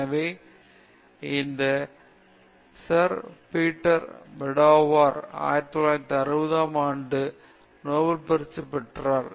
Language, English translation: Tamil, So, this Sir Peter Medawar; he got the Nobel prize in 1960